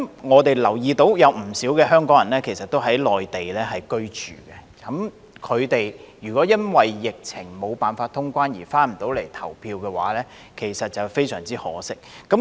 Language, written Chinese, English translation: Cantonese, 我們留意到其實有不少香港人在內地居住，他們如果因為疫情下無法通關而不能回來投票，其實非常可惜。, We notice that in fact many Hong Kong people are living on the Mainland and it would actually be a great pity if they cannot come back to vote due to the suspension of traveller clearance amid the epidemic